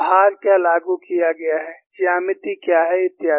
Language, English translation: Hindi, What is the load applied, what is the geometry, so on and so forth